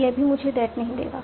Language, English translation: Hindi, It will also not give me that